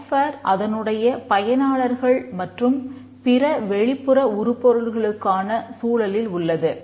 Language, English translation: Tamil, The software exists in the context of its users and any other external entities